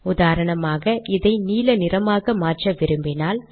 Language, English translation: Tamil, For example if I want to change this to blue, I will do the following